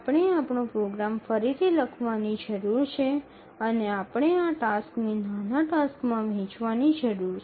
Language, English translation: Gujarati, We need to bit of rewrite our program and we need to split this task into smaller tasks